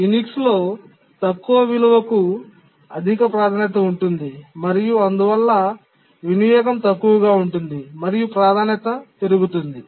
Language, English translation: Telugu, Remember that in Unix, the lower is the priority value, the higher is the priority and therefore the utilization is low, the priority increases